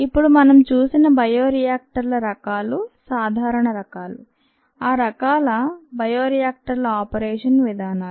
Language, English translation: Telugu, now those were the types of bioreactors that we saw, the common types and the modes of operation of those types of bioreactors